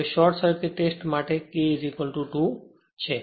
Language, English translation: Gujarati, Now, short circuit test, here K is equal to 2